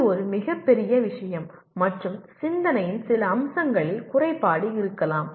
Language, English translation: Tamil, This is a very major thing and one maybe deficient in some aspects of thinking